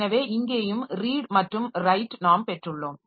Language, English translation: Tamil, So, here also we have got read write